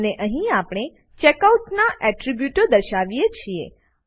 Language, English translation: Gujarati, And, here we display the attributes of the Checkout